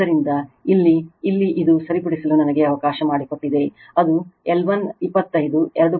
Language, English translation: Kannada, So, here your here this one it will be your let me correct it will be L 1 is equal to 25 not 2